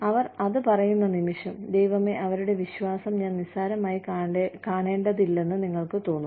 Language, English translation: Malayalam, And the minute, they say it, you say, oh my God, I should not take their faith for granted